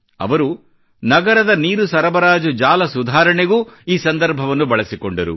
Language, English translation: Kannada, He utilized this opportunity in improving the city's water supply network